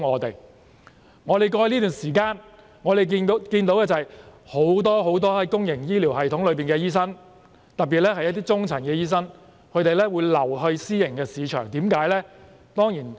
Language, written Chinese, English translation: Cantonese, 在過去這段時間，我們看到很多公營醫療系統的醫生，特別是中層的醫生轉至私營市場，為甚麼呢？, For some time in the past we have seen that many doctors in the public healthcare system especially middle - ranked doctors have switched to the private market . Why?